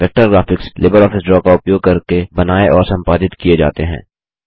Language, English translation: Hindi, Vector graphics are created and edited using LibreOffice Draw